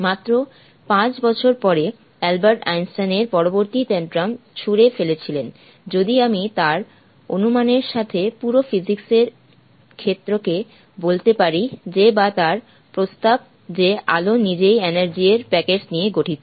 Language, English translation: Bengali, Just about five years later, it was Albert Einstein who through in the next tantrum; if I may say so to the whole of, the whole field of physics with his hypothesis that or his proposition that light itself consisted of packet of energy